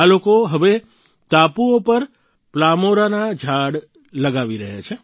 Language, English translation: Gujarati, These people are now planting Palmyra trees on these islands